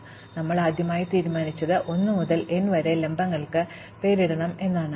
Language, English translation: Malayalam, So, the first thing we decided was, that we would name the vertices 1 to n